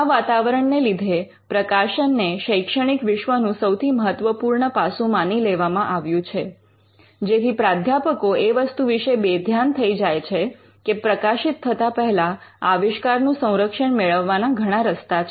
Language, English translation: Gujarati, So, because of this attitude that publication is the most important aspect of academic life; there is a tenancy that some professors may overlook the fact that they could be ways in which the invention can be protected before it gets published